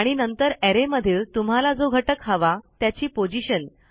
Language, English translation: Marathi, And then the position of what you want inside the array